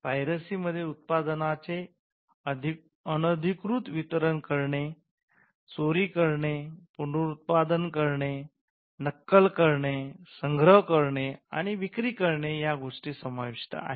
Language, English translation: Marathi, Piracy was regarded as plundering of intellectual property and it included unauthorised distribution, theft, reproduction, copying, performance, storage and sale of the product